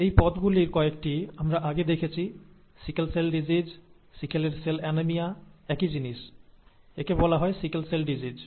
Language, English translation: Bengali, These terms, some of which we have seen earlier; sickle cell disease you know, sickle cell anemia, the same thing, it is called sickle cell disease